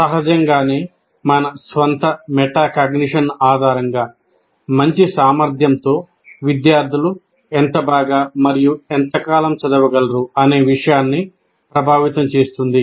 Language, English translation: Telugu, Now, obviously based on this, based on our own metacognition, that ability affects how well and how long students study